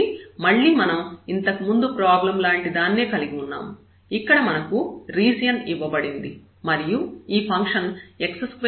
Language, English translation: Telugu, So, again we have the similar problem, we have the region given here and this function x square plus y square